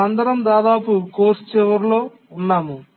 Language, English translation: Telugu, We are almost at the end of the course